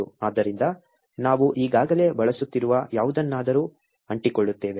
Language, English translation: Kannada, So, we will stick to something which is already being used